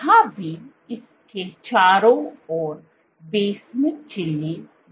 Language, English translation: Hindi, Even here, surrounded by this is the basement membrane